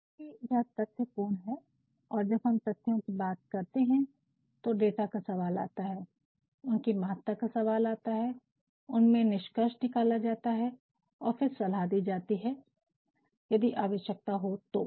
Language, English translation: Hindi, Since, it is factual and when we talk about facts data comes into question, their significance the conclusions drawn from them and recommendations if required